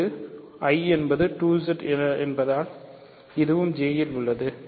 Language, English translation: Tamil, This is in I because I is 2Z this is in J